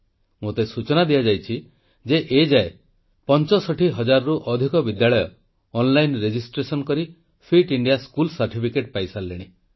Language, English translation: Odia, I have been told that till date, more than 65,000 schools have obtained the 'Fit India School' certificates through online registration